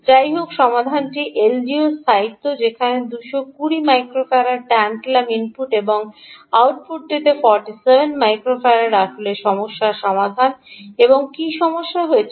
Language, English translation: Bengali, anyway, the solution is the stability of the l d o, where two twenty microfarad tantalum input and forty seven microfarad at the output actually solved the problem